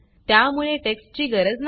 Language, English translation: Marathi, So this text is not needed